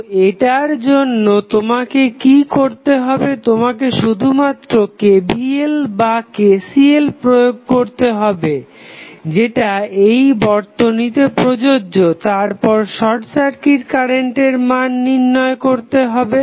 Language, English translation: Bengali, So, for this what you have to do, you have to just apply either KVL or KCL whatever is appropriate for that circuit, then find the value of short circuit current